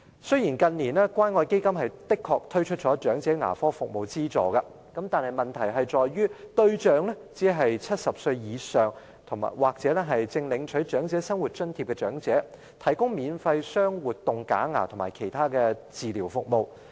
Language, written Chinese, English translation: Cantonese, 雖然近年關愛基金的確推出了長者牙科服務資助計劃，但問題在於對象只是為70歲以上或正在領取長者生活津貼的長者，提供免費鑲活動假牙和其他治療服務。, Although the Elderly Dental Assistance Programme has been launched under the Community Care Fund in recent years it only covers elderly persons aged over 70 or recipients of Old Age Living Allowance and they can be benefited from free removable dentures and other related dental services